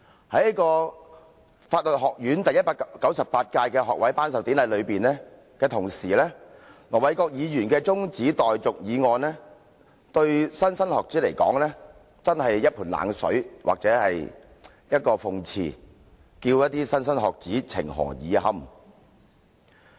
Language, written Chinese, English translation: Cantonese, 在法律學院舉行學位頒授典禮之際，盧議員的中止待續議案對莘莘學子來說，真是一盆冷水或一個諷刺，叫莘莘學子情何以堪？, While the Congregation of the Faculty of Law is held the adjournment motion moved by Ir Dr LO is just like a wet blanket thrown on students . This is sarcastic; how can students bear such emotional stress